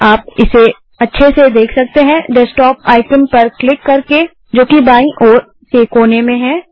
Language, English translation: Hindi, You can see it clearly by clicking the Desktop icon present at the bottom left hand corner